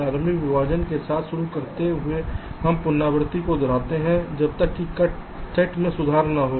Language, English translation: Hindi, starting with a initial partition, we repeat iteratively the process till the cutsets keep improving